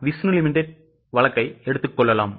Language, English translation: Tamil, Please take up the case of Vishnu Limited